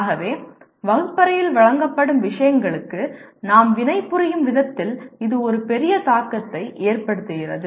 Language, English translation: Tamil, So this has a major impact on the way we react in a classroom to the things that are presented